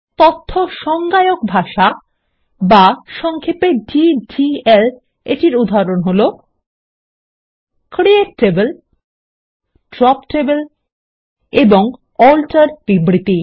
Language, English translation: Bengali, And some examples of Data Definition Language, or simply DDL, are: CREATE TABLE, DROP TABLE and ALTER statements